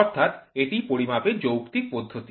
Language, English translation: Bengali, So, that is rational methods of measurement